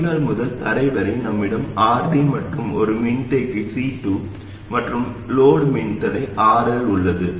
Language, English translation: Tamil, And from the drain to ground, we have RD, the capacitor C2 and the load register RL